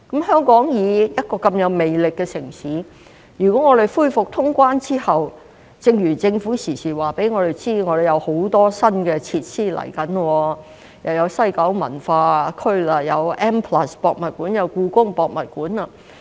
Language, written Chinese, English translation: Cantonese, 香港作為一個如此有魅力的城市，如果我們恢復通關後......正如政府時時告訴我們，香港將會有很多新設施落成，例如西九文化區、M+、香港故宮文化博物館等。, Hong Kong is such a charming city and if we resume normal cross - border travel The Government keeps telling us that there will be many new facilities in Hong Kong such as the West Kowloon Cultural District M the Hong Kong Palace Museum and so on